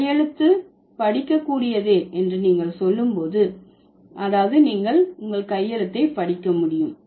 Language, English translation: Tamil, When you say the handwriting is readable, that means you can read the handwriting